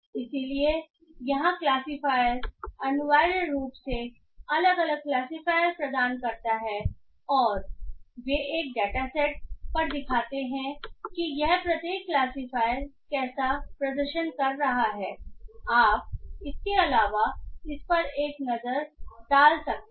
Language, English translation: Hindi, So here the classifier essentially provides different classifiers and they show on one data set how each of this classifier is performing